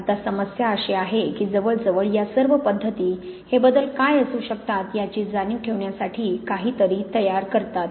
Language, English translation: Marathi, Now the problem is that nearly all these methods do produce something to be aware of what these changes can be